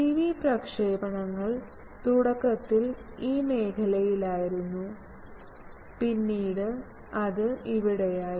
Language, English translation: Malayalam, TV transmissions initially was in these zone then it became here